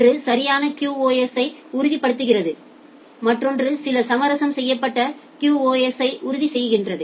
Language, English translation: Tamil, One is ensuring a perfect QoS, another one is ensuring some compromised QoS